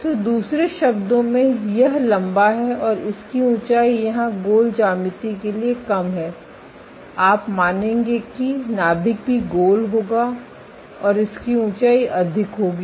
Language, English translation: Hindi, So, in other words it is elongated and its height is less here for the rounded geometry you would assume that the nucleus would also be rounded and its height will be more